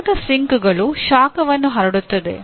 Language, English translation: Kannada, Heat sinks produce dissipate heat